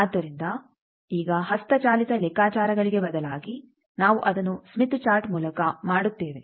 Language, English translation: Kannada, So, now, instead of manual calculations we will do it by Smith Chart